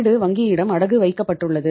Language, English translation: Tamil, The house is pledged with the bank